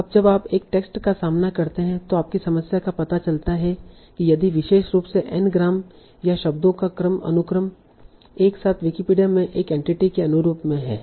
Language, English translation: Hindi, Now when you encounter a text, there your problem is find out if a particular anagram or a sequence of phrases, sequence of words together correspond to an entity in the Wikipedia